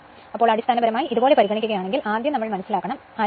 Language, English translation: Malayalam, So, basically if you if you consider like this, first little bit we have to understand; there should not be any confusion